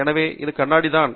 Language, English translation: Tamil, So, this is just glass